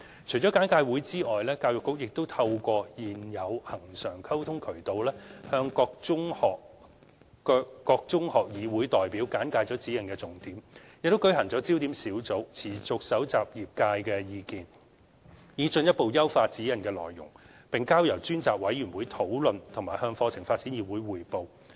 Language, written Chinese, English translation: Cantonese, 除簡介會外，教育局亦透過現有恆常溝通渠道向各中學議會代表簡介指引的重點，又舉行焦點小組，持續蒐集業界的意見，以進一步優化《指引》的內容，並交由專責委員會討論和向課程發展議會匯報。, Apart from holding briefing sessions the Education Bureau has also briefed representatives from secondary school councils on the main points of SECG through the existing regular communication channels . Besides to further enhance the contents of SECG focus group meetings have been conducted to keep collecting views from the sector . Views so collected were submitted to the SECG Ad Hoc Committee for discussion and reported to CDC